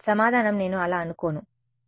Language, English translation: Telugu, Answer is I do not think so, the answer is